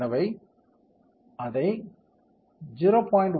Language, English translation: Tamil, So, let us make it 0